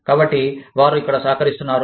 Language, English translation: Telugu, So, they are contributing here